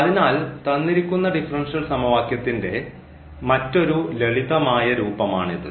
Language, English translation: Malayalam, So, this is the differential this is the solution of the given differential equation